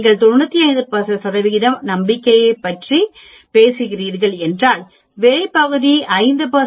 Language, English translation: Tamil, If you are talking about 95 percent confidence the outside area will be 5 percent or 0